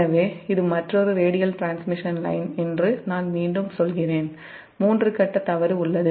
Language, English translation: Tamil, so i repeat that this is another radial transmission line and there is a three phase fault, say so